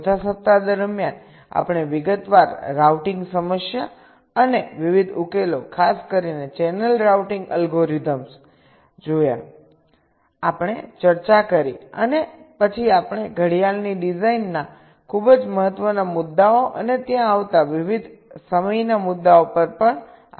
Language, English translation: Gujarati, during the fourth week we looked at the detailed routing problem and the various solutions, in particular the channel routing algorithms we have discussed, and then we started our discussion on the very important issue of clock design and the various timing issues that come there in